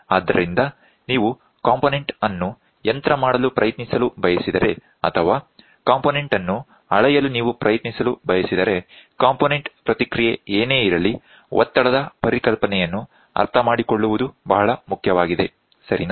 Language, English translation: Kannada, So, if you want to try machining the component or if you want to try during machining measuring the component whatever component response, then understanding the concept of pressure is very very important, ok